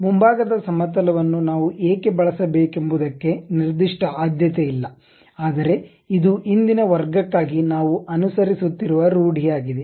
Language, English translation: Kannada, There is no particular preference why front plane we have to use ah, but this is a custom what we are following for today's class